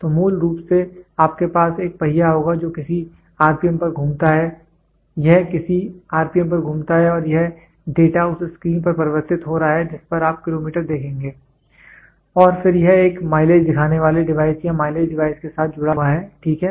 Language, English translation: Hindi, So, basically you will have a wheel which rotates at some rpm, it rotates at some rpm and this data is getting converted on the screen you will see kilometers, you will see kilometers and then this in turn is linked with a mileage showing device or mileage device, ok